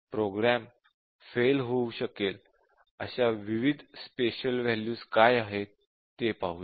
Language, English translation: Marathi, Let us look at what are the different special values where program can fail